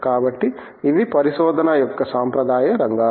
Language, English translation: Telugu, So, these are the traditional areas of research